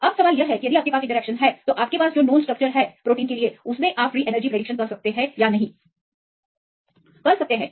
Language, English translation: Hindi, Now the question is; if you have these interactions; is it possible to predict the free energy change for any protein of known structure